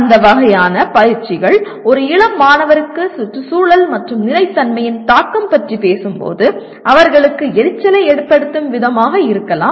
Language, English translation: Tamil, This can be, that kind of exercises can be irritating to an young student when they are talking about the impact on environment and sustainability